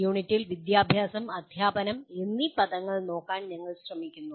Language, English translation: Malayalam, The unit is we are trying to look at the words education and teaching